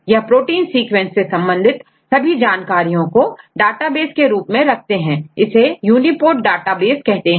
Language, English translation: Hindi, So, they collect all the information regarding protein sequences, and they put together in the form of the database called UniProt database